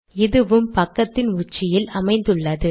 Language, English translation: Tamil, So it has also been put at the top of this page